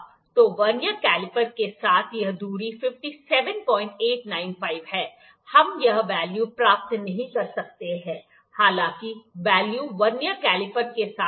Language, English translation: Hindi, 895 with the Vernier caliper, we cannot get this value, however the value would be with the Vernier caliper